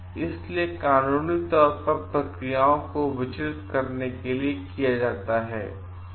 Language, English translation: Hindi, So, this is purposefully done to distract the processes legal processes